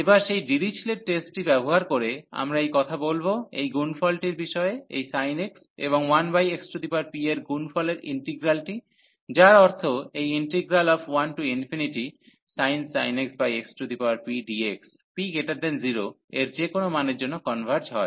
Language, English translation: Bengali, So, using that Dirichlet test now, so we can talk about this product the integral of this product sin x and product with 1 over x power p that means, this integral sin x over x power p dx from 1 to infinity this converges for any value of p greater than 0